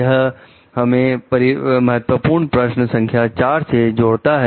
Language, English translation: Hindi, This connects us to the key question 4